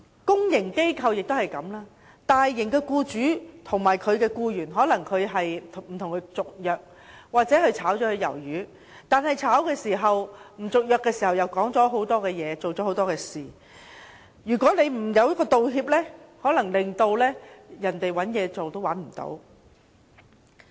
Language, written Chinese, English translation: Cantonese, 公營機構也一樣，大型機構的僱主不與僱員續約或將其解僱，但同時又說了很多說話或做了很多事，如果沒有道歉機制，可能令該僱員難以再找工作。, When a large public institution dismisses an employee or terminates a contract with him the two sides may say or do things impulsively . Without an apology system the employee may have difficulties in finding a new job